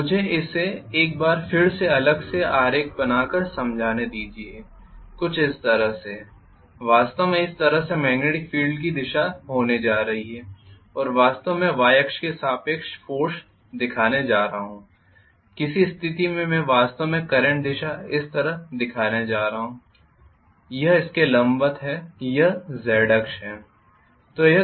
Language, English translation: Hindi, and I am going to show actually along the Y axis may be the movement direction or force in which case I am going to have actually the current direction somewhat like this, this is perpendicular to this, this is the Z axis